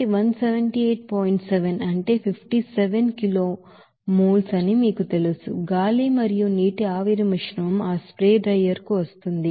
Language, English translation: Telugu, 7 that is 57 kg moles of you know that air and water vapor mixture is coming to that spray drier